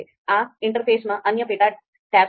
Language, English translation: Gujarati, Then, there are other sub tabs in this interface